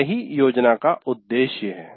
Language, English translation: Hindi, That is a purpose of planning